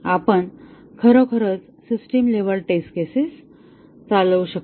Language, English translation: Marathi, We cannot really run system level test cases